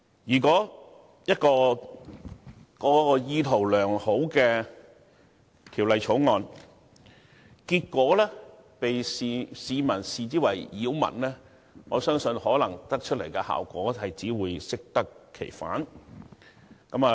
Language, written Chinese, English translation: Cantonese, 如果一項意圖良好的條例，被市民視為擾民，我相信最終產生的效果，只會適得其反。, If a well - intentioned provision is regarded as causing nuisance by the people the ultimate effect it generates will only defeat its purpose